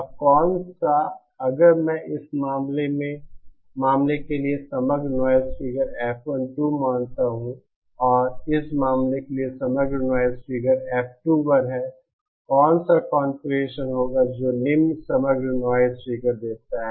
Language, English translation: Hindi, Now which one if I consider the overall noise figure for this case is F12 and overall noise figure for this case is F21, which will be the configuration that gives the lower overall noise figure